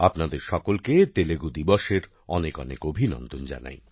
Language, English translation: Bengali, Many many congratulations to all of you on Telugu Day